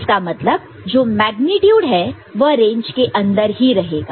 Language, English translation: Hindi, So, magnitude will be within the range ok